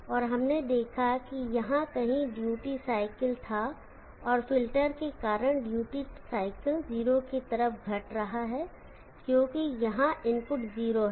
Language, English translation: Hindi, And we saw that it was the duty cycle somewhere here and the duty because of the filter, the duty cycle is decreasing towards 0, because the input is 0 here